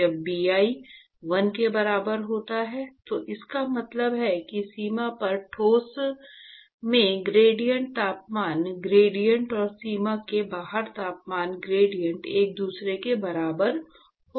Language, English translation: Hindi, When Bi is equal to 1, it means that the gradient temperature gradient in the solid at the boundary and the temperature gradient outside the boundary will be equal to each other